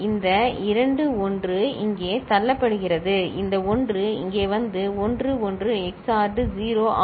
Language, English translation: Tamil, This two 1 is getting pushed here, this 1 is coming over here and 1 1 XORed is 0